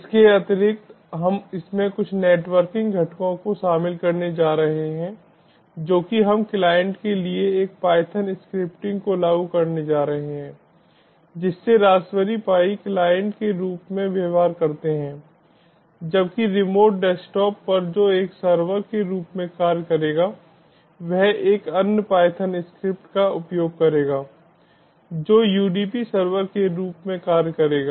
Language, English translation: Hindi, additionally, we are going to include some networking components to it, that is, we are going to implement a python scripting for client making the raspberry pi behave as a client, whereas on the remote desktop, which will act as a server, will use another python script which will act as a udp server